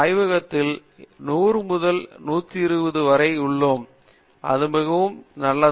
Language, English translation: Tamil, We have around to 100 to 120 people in the lab and that is very, very good